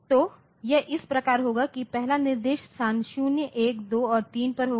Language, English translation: Hindi, So, it will be like this the first instruction will be at location 0, 0, 1, 2 and 3